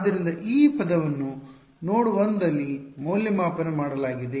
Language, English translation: Kannada, So, what is this term evaluated at node 1 right